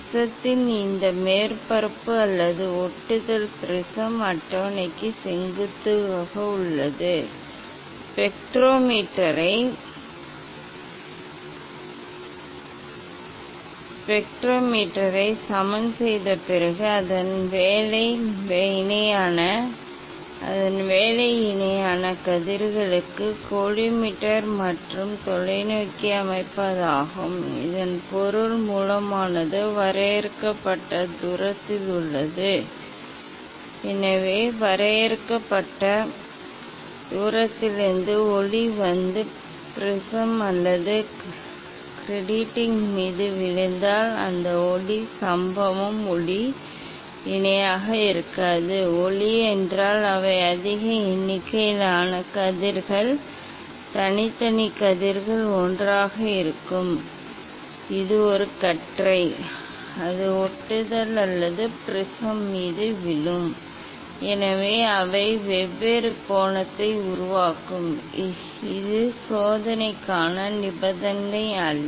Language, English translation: Tamil, that this surface faces of the prism or the grating is perpendicular to the prism table, after leveling the spectrometer, next work is to set collimator and telescope for parallel rays means this the source is at finite distance, so from finite distance if light comes and fall on the prism or grating, so that light; incident light will not be parallel, light means they are huge number of rays, individual rays together it is a beam it will fall on the grating or prism, so they will make different angle, that is not the condition for the experiment